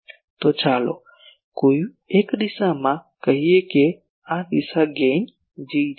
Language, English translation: Gujarati, So, in a particular direction let us say at this direction this gain is G